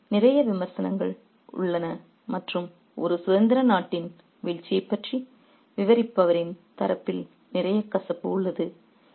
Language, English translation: Tamil, So, there is a lot of criticism and there is a lot of bitterness on the part of the narrator about the fall of a free country